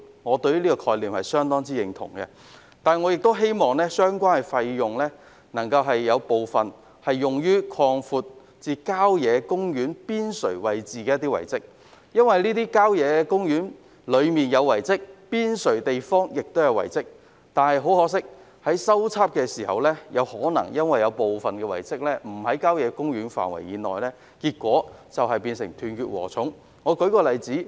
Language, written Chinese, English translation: Cantonese, 我相當認同這個概念，但亦希望當中部分款項可用以修葺郊野公園邊陲位置的遺蹟，因為郊野公園範圍內及邊陲位置都有遺蹟，但很可惜，在進行修葺工程時，部分遺蹟可能並非位於郊野公園範圍內，結果有關工程猶如"斷截禾蟲"般。, I agree with this approach very much but I also hope that part of the funding can be used for revitalizing the relics on the periphery of country parks because relics can be found within and on the periphery of country parks . But unfortunately since some relics are not located within the country park area the relevant revitalization works have to be carried out in a fragmented manner